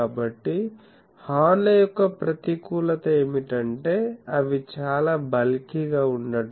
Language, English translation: Telugu, So, this is the disadvantage of horns, that they becomes very bulky